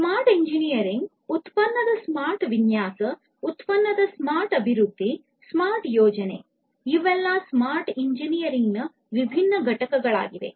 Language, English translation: Kannada, Smart engineering, smart design of the product, smart development of the product, smart planning all of these are different constituents of smart engineering